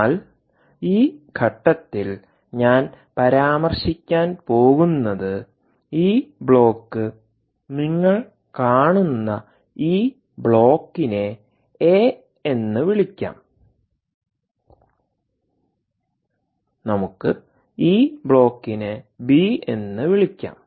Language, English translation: Malayalam, we did not elaborate, but i am going to mention at this juncture that, that block, that you see, this block, let us call this block a, let us call this block b